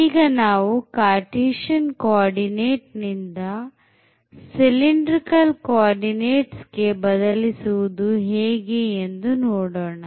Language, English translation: Kannada, So now, the Cartesian co ordinate to cylindrical coordinates